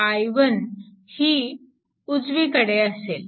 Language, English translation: Marathi, 5 plus i 1, and this side is 2